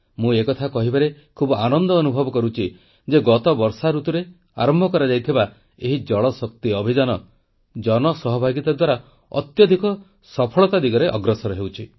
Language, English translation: Odia, It gives me joy to let you know that the JalShakti Campaign that commenced last monsoon is taking rapid, successful strides with the aid of public participation